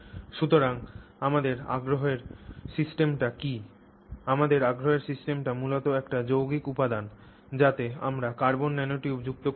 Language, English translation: Bengali, Our system of interest is basically a composite material in which we have added carbon nanotubes